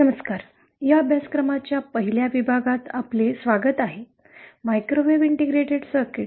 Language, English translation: Marathi, Hello, welcome to the 1st module of this course, microwave integrated circuits